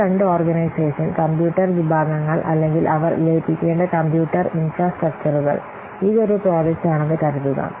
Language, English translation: Malayalam, These two organizations, computer sections or computer infrastructures, they have to be merged